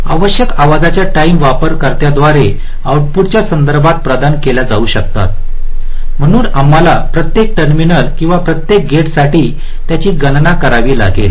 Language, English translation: Marathi, required arrival times may be provided by the user with respect to the output, so we have to calculated them for every terminal or every gate